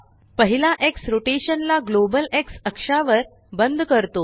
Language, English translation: Marathi, The first X locks the rotation to the global X axis